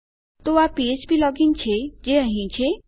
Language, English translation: Gujarati, So that is phplogin which here